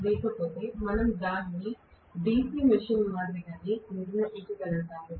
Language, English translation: Telugu, Otherwise we could have constructed it the same way as DC machine